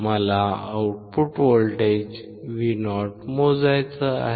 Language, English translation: Marathi, I want to measure the output voltage Vo